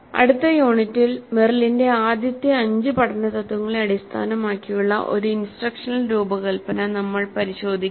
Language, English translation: Malayalam, And in the next unit we will look at an instructional design based on Merrill's 5 first principles of learning